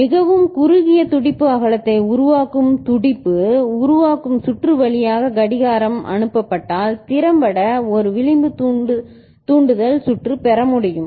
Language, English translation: Tamil, If clock is passed through a pulse forming circuit that generates a very narrow pulse width, effectively an edge trigger circuit can be obtained